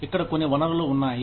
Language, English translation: Telugu, Some resources here